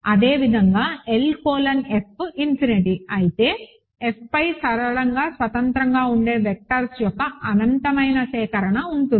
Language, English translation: Telugu, Similarly, if L colon F is infinity there is an infinite collection of vectors which are linearly independent over F